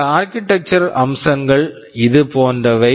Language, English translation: Tamil, This architectural featuresThese architectural features are like this